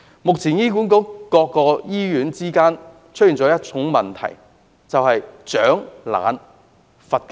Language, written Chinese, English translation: Cantonese, 目前醫管局各醫院之間出現了一個問題，就是"賞懶罰勤"。, The problem currently facing various hospitals under HA is that lazy personnel are rewarded while hardworking personnel are punished